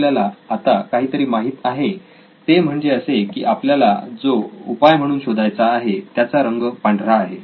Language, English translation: Marathi, Okay now we know that something that we are looking for in terms of a solution is white in color